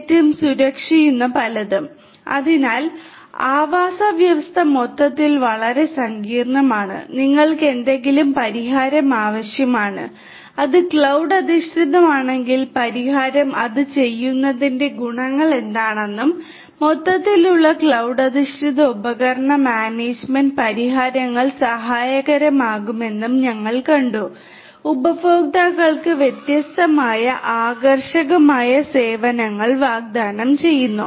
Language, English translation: Malayalam, So, the ecosystem overall is highly complex and you need some kind of a solution, the solution if it is cloud based we have seen that what are the advantages of doing it and overall cloud based device management solutions are going to be helpful to offer different attractive services to the clients